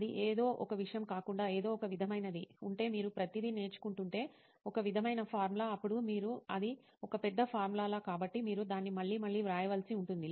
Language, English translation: Telugu, That is something but apart from that maybe if there is something sort of, if you are learning everything, some sort of formula, then you, just might because it is a big formula, then you might have to write it again and again